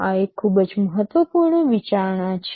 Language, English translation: Gujarati, This is a very important consideration